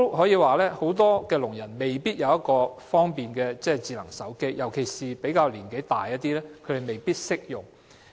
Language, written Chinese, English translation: Cantonese, 此外，很多聾人未必有智能手機，尤其較年長的亦未必懂得使用。, Besides many deaf people may not necessarily have a smart phone especially as those who are older in age may not know how to use one